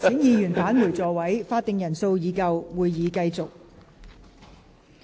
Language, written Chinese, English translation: Cantonese, 會議廳內已有足夠法定人數，會議現在繼續。, A quorum is present in the Chamber . The meeting now continues